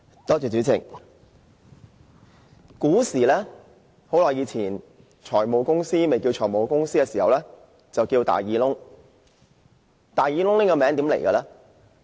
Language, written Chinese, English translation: Cantonese, 主席，古時、很久以前，財務公司還未叫作財務公司時，稱為"大耳窿"。, President in the ancient times a long time ago when finance companies were not yet called finance companies they were known as big ear holes